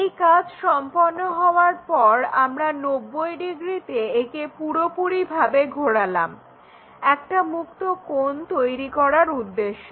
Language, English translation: Bengali, When it is done we rotate it by 90 degrees all the way to construct free angle